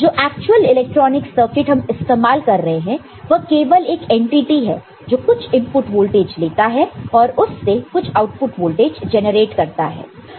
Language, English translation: Hindi, Actual electronic circuit that we using it is just you know, it is an entity which is just taking up some input voltage and generating some output voltage